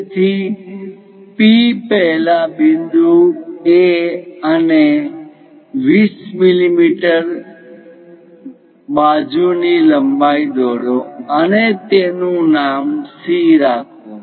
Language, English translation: Gujarati, So, P first identify point A point A here and a side length of 20 mm and name it C